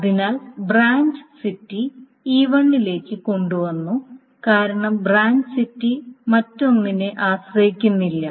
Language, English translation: Malayalam, So branch city was brought into E1 because the branch city doesn't bother itself with anything else